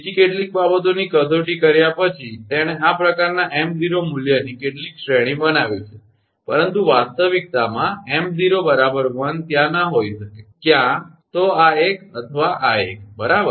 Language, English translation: Gujarati, after several testing other thing, he has made this kind of some range of this m0 value, but in reality m0 is equal to 1 may not be there, either this one or this one, right